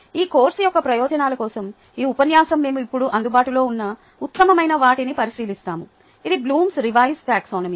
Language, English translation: Telugu, for the purposes of this course, this lecture, we will just look at the best available now, which is the blooms revised taxonomy